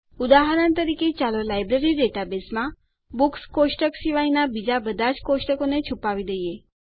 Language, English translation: Gujarati, As an example, let us hide all tables except the Books table in the Library database